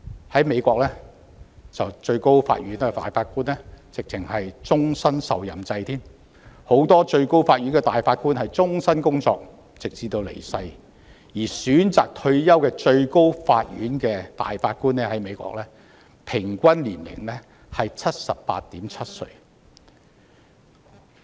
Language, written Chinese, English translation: Cantonese, 在美國，最高法院大法官是終身受任制，許多最高法院大法官終身工作直至離世，而選擇退休的最高法院大法官的平均年齡為 78.7 歲。, In the United States Justices of the Supreme Court have life tenure . Many Justices of the Supreme Court worked their whole life and died while in office and the average age of Justices of the Supreme Court when they opt for retirement is 78.7